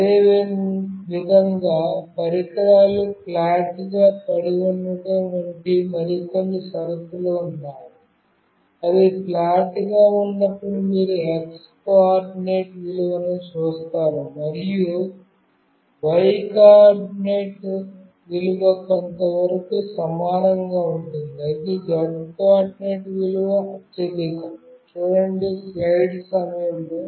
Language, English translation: Telugu, Similarly, there are few more condition like the devices lying flat, when it is lying flat you see x coordinate value, and y coordinate value are to some extent same, but the z coordinate value is the highest